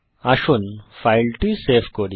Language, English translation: Bengali, Let us save the file